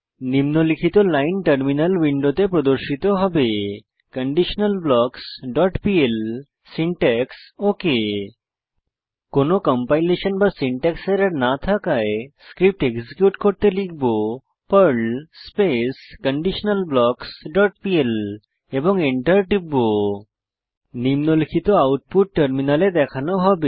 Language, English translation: Bengali, The following line will be displayed on the terminal window conditionalBlocks.pl syntax OK As there is no compilation or syntax error, we will execute the Perl script by typing perl conditionalBlocks dot pl and press Enter The following output will be shown on terminal